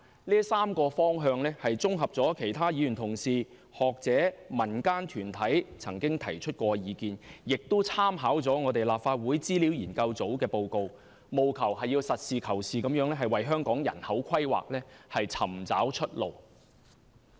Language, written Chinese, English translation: Cantonese, 這3個方向綜合了其他議員同事、學者、民間團體曾提出的意見，亦參考了立法會資料研究組的報告，務求實事求是地為香港人口規劃尋找出路。, I have summed up views proposed by my colleagues the academia and local groups as well as reports put forward by the Research Office of the Legislative Council Secretariat in these three directions with a view to finding a practical and realistic way out for Hong Kong people in its demographic planning